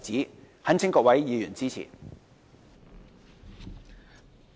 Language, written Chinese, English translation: Cantonese, 我懇請各位議員支持。, I implore Members to support the motion